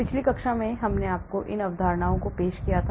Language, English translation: Hindi, In the previous class I introduced these concepts to you